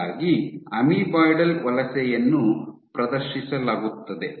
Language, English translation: Kannada, So, amoeboidal migration is exhibited